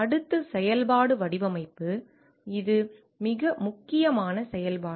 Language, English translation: Tamil, Next function is design which is a very important function